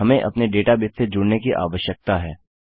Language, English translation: Hindi, We need to connect to our database